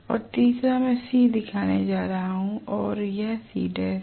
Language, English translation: Hindi, And the third one I am going to show C and this is C dash